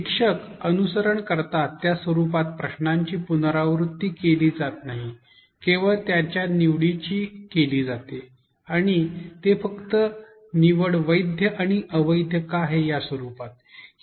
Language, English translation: Marathi, In the format that the teacher follows, the question is not repeated its only the choices and why the choices are valid and invalid